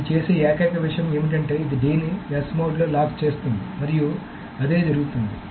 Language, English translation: Telugu, So the only thing that it does is that it just locks D in the S mode